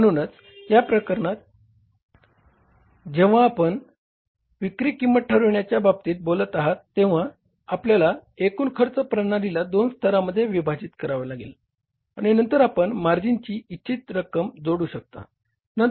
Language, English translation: Marathi, So, in this case when you talk about that fixation of the selling price, you have to divide your total costing structure into two levels and then adding of the desired amount of margin